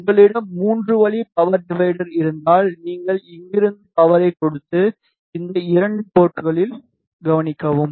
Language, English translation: Tamil, If you have 3 way power divider then you give power from here and observe at these 2 ports